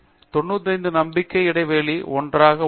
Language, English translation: Tamil, The 95 confidence interval is on something